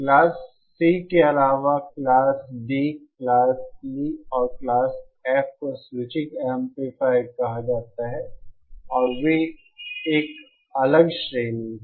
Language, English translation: Hindi, Beyond the Class C, that is the Class D, Class E and Class F are called as switching amplifiers and they are a separate category